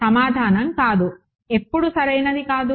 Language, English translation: Telugu, Answer is no, when is it not correct